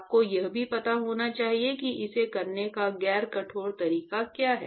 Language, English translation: Hindi, You must also know what is the non rigorous way of doing it ok